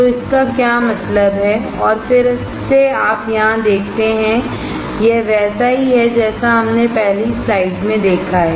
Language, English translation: Hindi, So, what does that mean and again you see here, it is similar to what we have seen in the first slide